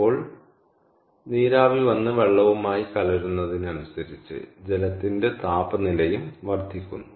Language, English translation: Malayalam, so now, as the steam comes and mixes with the water, then what happens